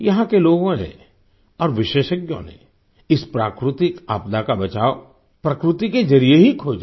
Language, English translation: Hindi, The people here and the experts found the mitigation from this natural disaster through nature itself